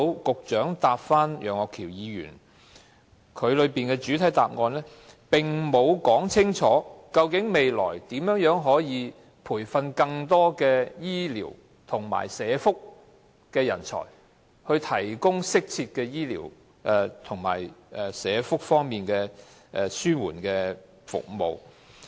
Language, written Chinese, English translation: Cantonese, 局長就楊岳橋議員的質詢所作的主體答覆沒有說明未來如何培訓更多醫療和社福人才，以提供適切的醫療及社福方面的紓緩治療服務。, The main reply given by the Secretary to Mr Alvin YEUNGs question did not tell us how more workers in health care and social welfare will be trained in the future to provide appropriate palliative care service in health care and social welfare settings